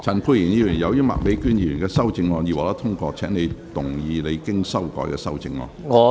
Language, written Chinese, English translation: Cantonese, 陳沛然議員，由於麥美娟議員的修正案已獲得通過，請動議你經修改的修正案。, Dr Pierre CHAN as Ms Alice MAKs amendment has been passed you may move your revised amendment